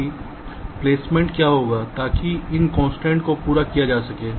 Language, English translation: Hindi, ok, that what will be the placement, such that these constraints are met